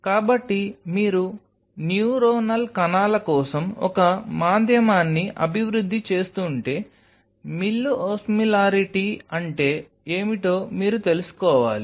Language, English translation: Telugu, So, if you are developing a medium for the neuronal cells, then you should know that what is the mill osmolarity